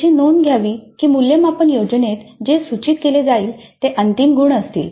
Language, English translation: Marathi, But it should be noted that what is indicated in the assessment plan would be the final marks